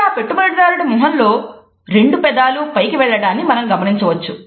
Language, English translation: Telugu, What you see here on the investors face is just the two lips going upwards